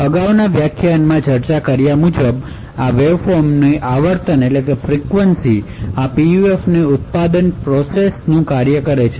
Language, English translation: Gujarati, As discussed in the previous lecture the frequency of this waveform is a function of these manufacturing process of this PUF